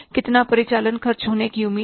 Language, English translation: Hindi, How much labor will be required